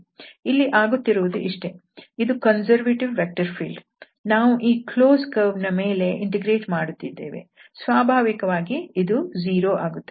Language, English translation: Kannada, So, here this is what exactly happening, because this is the conservative vector field and we are integrating over this close curve so, naturally this will be 0